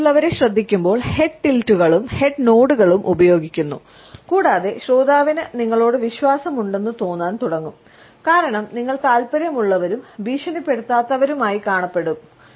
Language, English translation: Malayalam, When you listen to the others then we use the head tilts and head nods and the listener will begin to feel trusting towards you, because you would appear as interested as well as non threatening